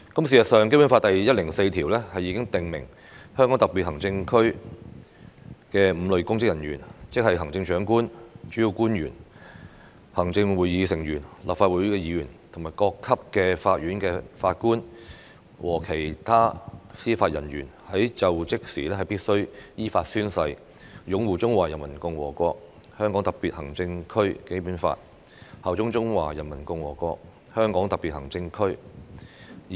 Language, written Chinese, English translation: Cantonese, 事實上，《基本法》第一百零四條已訂明，香港特別行政區的5類公職人員，即行政長官、主要官員、行政會議成員、立法會議員、各級法院法官和其他司法人員在就職時必須依法宣誓擁護《中華人民共和國香港特別行政區基本法》，效忠中華人民共和國香港特別行政區。, As a matter of fact Article 104 of the Basic Law has stipulated that when assuming office five categories of public officers ie . the Chief Executive principal officials members of the Executive Council and of the Legislative Council judges of the courts at all levels and other members of the judiciary in the Hong Kong Special Administrative Region HKSAR must in accordance with law swear to uphold the Basic Law of HKSAR of the Peoples Republic of China PRC and swear allegiance to HKSAR of PRC